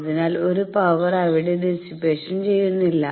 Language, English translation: Malayalam, So, no power they dissipate in there